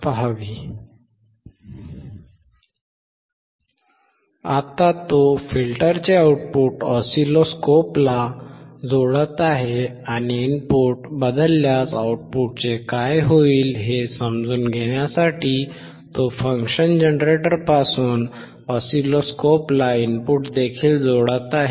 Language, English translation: Marathi, Now he is connecting the output of the filter to the oscilloscope and he is also connecting the input from the function generator to the oscilloscope just to understand what happens to the output if we change the input